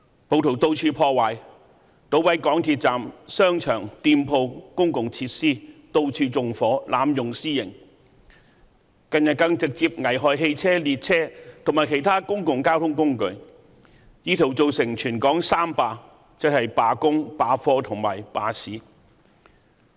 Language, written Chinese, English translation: Cantonese, 暴徒到處破壞，搗毀港鐵站、商場、店鋪、公共設施，到處縱火，濫用私刑，近日更直接危害汽車、列車和其他公共交通工具，意圖造成全港"三罷"，即罷工、罷課和罷市。, Rioters vandalized everything that ranged from MTR stations shopping malls shops to public facilities . They set fire everywhere and arbitrarily took the law into their own hands . In recent days they even caused direct hazards to vehicles trains and other public transports in an attempt to force city - wide general strike on three fronts ie